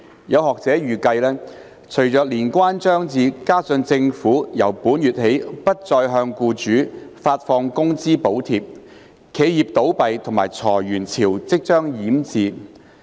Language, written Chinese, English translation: Cantonese, 有學者預計，隨着年關將至，加上政府由本月起不再向僱主發放工資補貼，企業倒閉及裁員潮即將淹至。, Some academics have anticipated that with the Lunar New Year approaching and the Government no longer disbursing wage subsidies to employers from this month onwards there will be imminent waves of enterprises closing down and layoffs